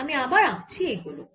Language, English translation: Bengali, i am drawing this sphere